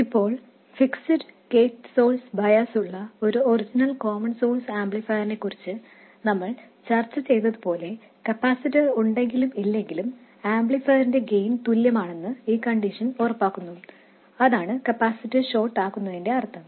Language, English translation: Malayalam, Now, like we discussed with the original common source amplifier with a fixed gate source wires, this condition ensures that the gain of the amplifier is the same whether the capacitor is there or not